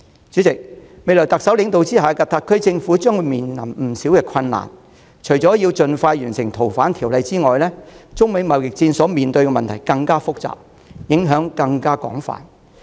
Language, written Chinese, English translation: Cantonese, 主席，在特首領導下的特區政府未來將面對不少困難，除了《逃犯條例》的修訂工作須盡快完成外，中美貿易戰的問題更複雜，影響更廣泛。, President the SAR Government under the leadership of the Chief Executive will have to face numerous difficulties in the future . As well as the FOO amendment exercise that warrants speedy conclusion the issue concerning the trade war between China and the United States is even more complicated with broader impacts